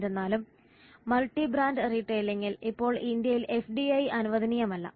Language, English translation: Malayalam, However in multi brand retailing FDI is not allowed in India now